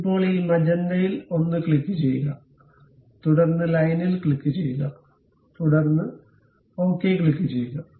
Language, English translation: Malayalam, Now, click this magenta one and then click the line and then click ok